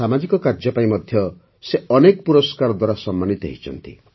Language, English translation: Odia, He has also been honoured with many awards for social work